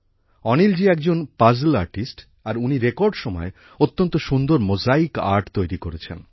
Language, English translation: Bengali, Anil ji is a puzzle artist and has created beautiful tricolor mosaic art in record time